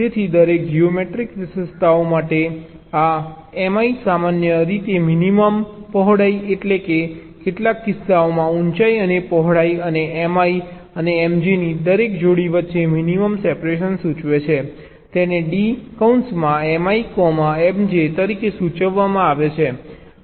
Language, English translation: Gujarati, so for the each of the geometric features, this smi will indicate typically the minimum width and in some cases also height and width and the minimum separation between every pair of m i and m j